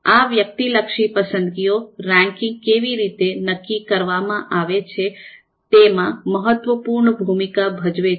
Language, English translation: Gujarati, So therefore, these subjective preferences are going to play an important role in a way how the ranking is determined